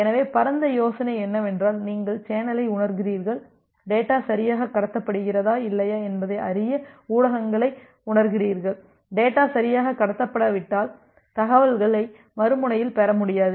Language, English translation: Tamil, So, the broad idea is that you sense the channel, you sense the media to find out whether the data is being transmitted correctly or not, if the data is not being transmitted correctly, that means, the other end is not able to receive the data